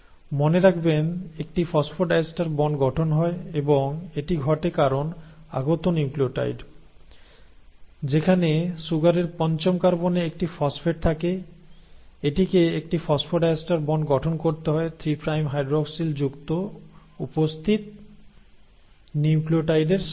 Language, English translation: Bengali, Remember there is a formation of phosphodiester bond and this happens because the incoming nucleotide, which is, has a phosphate at its fifth carbon of the sugar has to form a phosphodiester bond with an existing nucleotide having a 3 prime hydroxyl